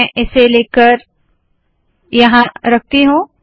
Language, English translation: Hindi, Let me take this, let me put it here